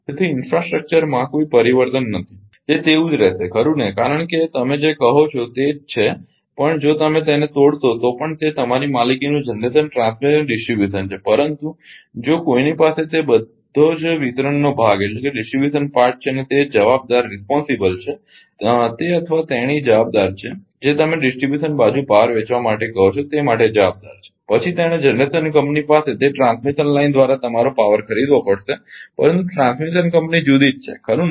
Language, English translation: Gujarati, So, there is there is no change in infrastructure it will remain as it is right even even even your what you call that ah even if you break it generation transmission and distribution ultimately it is owned by you, but if somebody has that distribution part totally and he is responsible he or she is responsible for your what you call for ah selling power to the distribution side; then he has to buy power from the generation company through your through that transmission line, but transmission company is different right